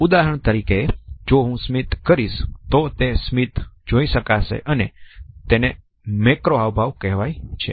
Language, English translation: Gujarati, For example, if I smile , it is a macro expression